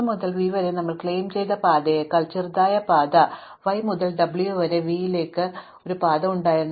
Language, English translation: Malayalam, Now, can it be that there was a path from y to w to v which is shorter than a path we claimed just now via x to v